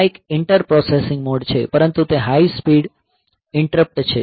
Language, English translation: Gujarati, So, this is one inter processing mode, but it is high speed interrupt